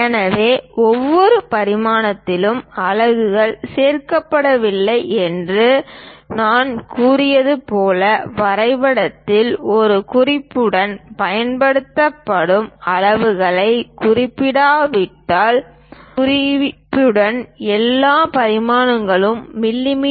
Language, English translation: Tamil, So, as I said units are not included with each dimension, specify the units used with a note on the drawing as unless otherwise specified, all dimensions are in mm